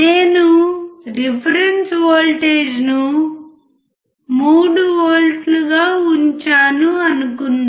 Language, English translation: Telugu, Suppose I have kept reference voltage as 3V